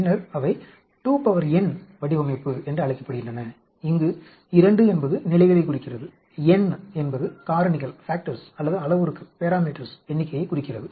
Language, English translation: Tamil, Then, they are also called a 2 power n design, where this 2 indicates the levels; n indicates number of the factors or parameters